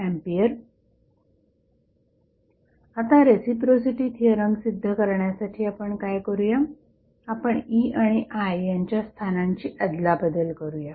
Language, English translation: Marathi, Now, to prove the reciprocity theorem, what we will do we will interchange the locations of E and I